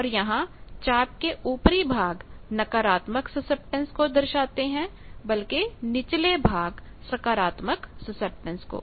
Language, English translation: Hindi, And here the upper half arcs represent negative susceptance, lower half arcs represent positive susceptance